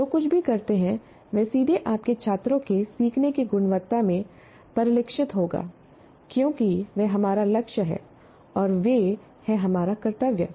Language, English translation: Hindi, Whatever you do will directly reflect in the quality of learning of your students because that is our, they are our goal, they are our duty